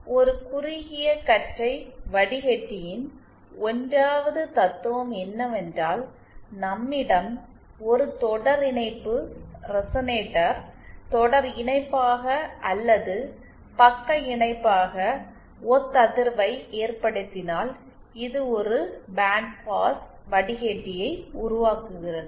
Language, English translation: Tamil, So the 1st principle of a narrowband filter is that if we have a series resonator in series or shunt resonate in shunt, this gives rise to a band pass filter